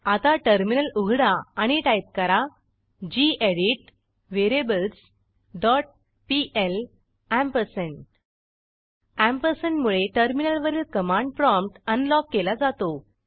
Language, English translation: Marathi, Now open the Terminal and type gedit variables dot pl ampersand The ampersand will unlock the command prompt on the terminal